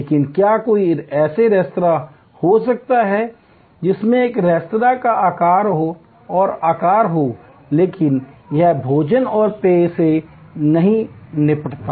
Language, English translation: Hindi, But, can there be a restaurant, which has the shape and size of a restaurant, but it does not deal with food and beverage